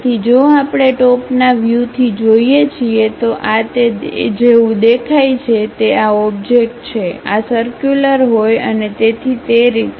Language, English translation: Gujarati, So, if we are looking from top view, this is the object how it looks like; these circular holes and so on